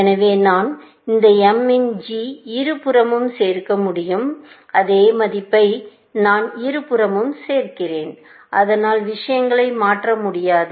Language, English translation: Tamil, So, I can add this g of m to both sides; same value I am adding to both sides, so that does not change things